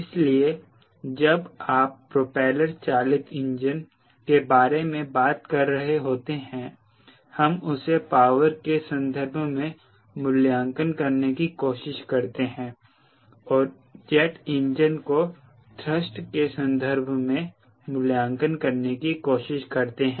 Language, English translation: Hindi, so whenever you are talking about propeller driven engine, we try to read the engine in terms of power and jet engine we try to read them in terms of thrust